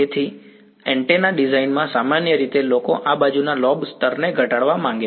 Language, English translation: Gujarati, So, in antenna design typically people want to reduce this side lobe level